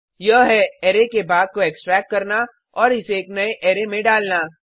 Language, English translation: Hindi, This is nothing but extracting part of an array and dumping it into a new array